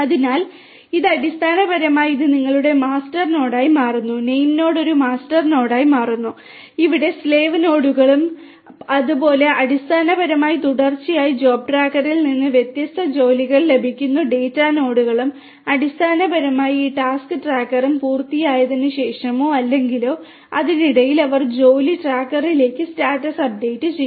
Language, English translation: Malayalam, So, this is basically this becomes your master node, the name node becomes a master node, these are like the slave nodes and slave nodes are basically continuously being they basically give the different tasks from the job tracker which will have to be executed at each of these different data nodes and basically these task tracker after completion of the task or in between also they would be updating the status to the job tracker